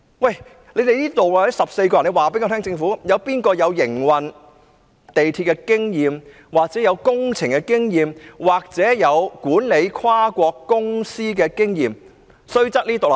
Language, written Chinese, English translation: Cantonese, 我請政府告訴我，在這14個人當中，究竟誰擁有營運地鐵的經驗、負責工程的經驗或管理跨國公司的經驗呢？, May I ask the Government to tell me who among these 14 persons have the experience of operating underground railway being in charge of works projects or managing a multinational company?